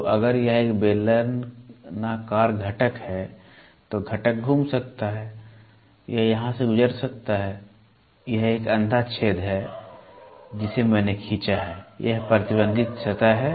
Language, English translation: Hindi, So, if it is a cylindrical component then it can be component can rotate or it can be through here it is a blind hole which I have drawn, this is the restricted surface